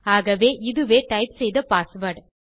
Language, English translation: Tamil, So, this is the password I am typing in here